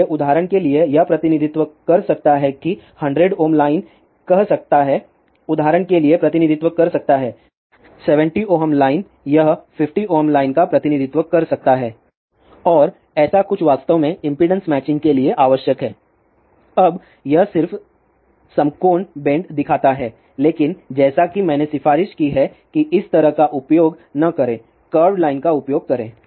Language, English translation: Hindi, For example, 70 ohm line this may represent 50 ohm line and something like this is actually required for impedance matching now it just shows right angle bend, but as a recommended do not use like this use curved lines